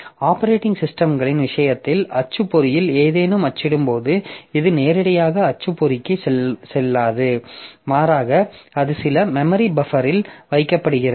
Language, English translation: Tamil, As you know that in case of operating systems, so whenever there is something to be printed onto the printer, so it does not go to the printer directly but rather it is kept in some memory buffer